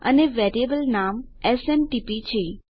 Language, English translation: Gujarati, And the variable name is SMTP